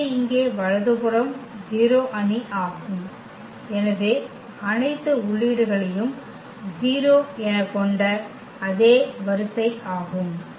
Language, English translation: Tamil, So, here the right hand side this is a 0 matrix so, the same order having all the entries 0